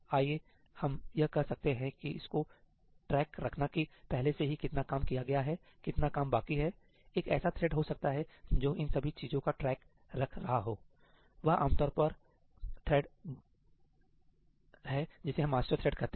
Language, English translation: Hindi, Let us say that its keeping track of how much work has already been done, how much is left; maybe there is one thread which is keeping track of all that, that is generally the thread we call the master thread